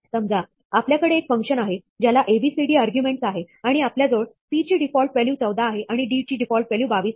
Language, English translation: Marathi, Suppose we have a function with 4 arguments a, b, c, d and we have, c has the default value 14, and d has a default value 22